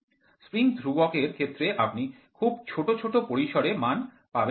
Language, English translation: Bengali, The spring constant you cannot vary very small steps